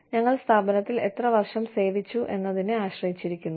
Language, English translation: Malayalam, Depends on the number of years, we have served in the organization